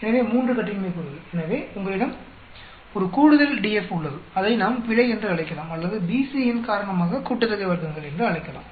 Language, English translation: Tamil, So, 3 degrees of freedom so you have 1 extra DF, which we can be calling it as error or we can call it sum of squares due to BC